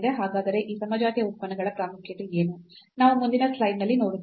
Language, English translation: Kannada, So, what is the importance of these homogeneous functions: we will see in the next slide